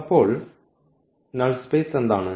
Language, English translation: Malayalam, So, what is in the null space